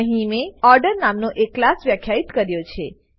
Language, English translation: Gujarati, I have defined a class named Order in this example